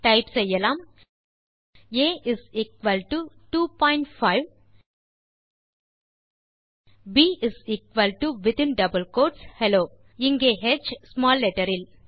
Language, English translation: Tamil, So lets type a is equal to 2 point 5 then b within double quotes hello where h is small letter